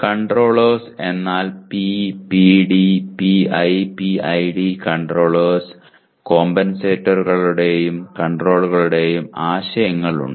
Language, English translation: Malayalam, Controllers means P, PD, PI, PID controllers have the concepts of compensators and controllers